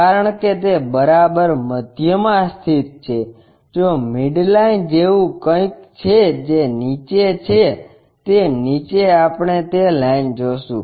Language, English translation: Gujarati, Because it is precisely located at midway if something like midline is that one below that we will see that line